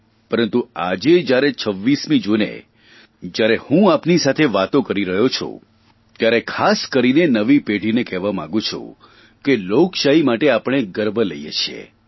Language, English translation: Gujarati, But today, as I talk to you all on 26th June, we should not forget that our strength lies in our democracy